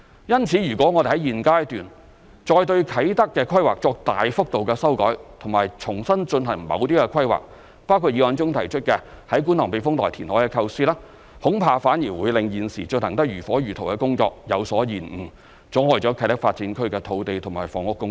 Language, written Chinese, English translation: Cantonese, 因此，如果我們在現階段再對啟德規劃作大幅度修改和重新進行某些規劃，包括議案中所提出於觀塘避風塘填海的構思，恐怕反而會令現時進行得如火如荼的工作有所延誤，阻礙啟德發展區的土地及房屋供應。, Hence at this stage if we substantially revise the planning for Kai Tak and redo certain planning including the proposition of reclamation in the Kwun Tong Typhoon Shelter highlighted in the motion I am afraid it will cause delay to the work which is currently proceeding at full steam thus impeding the supply of land and housing in KTDA